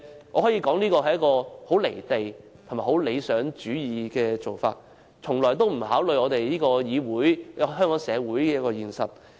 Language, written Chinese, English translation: Cantonese, 我可以說，這是一種甚為"離地"及理想主義的做法，從來不考慮這個議會及香港社會的現實情況。, I can say that such an act is detached from reality and too idealistic with no regard to the actual situation in this Council and Hong Kong society